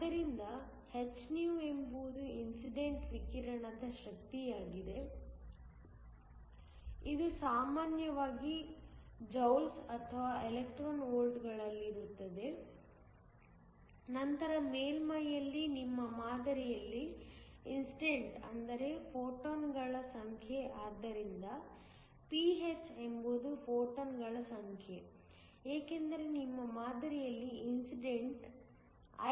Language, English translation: Kannada, So, hυ is the energy of the incident radiation, this is usually in Joules or Electron Volts, then the number of photons that are incident on your sample at the surface so, ph is the number of photons, since incident at your sample is nothing but Ihc